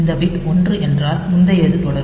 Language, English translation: Tamil, So, this will be some the previous will continue